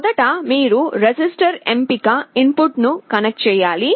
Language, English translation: Telugu, First you have to connect the register select input